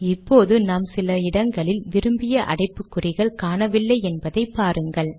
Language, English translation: Tamil, We see that the braces we wanted in some terms are missing